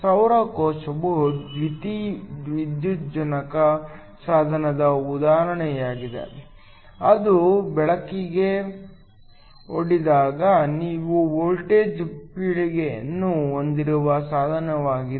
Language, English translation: Kannada, A solar cell is an example of a photovoltaic device; that is it is a device where you have a generation of voltage when expose to light